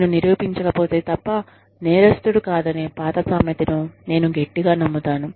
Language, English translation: Telugu, But, i am a firm believer, in the old adage of not guilty, unless proved otherwise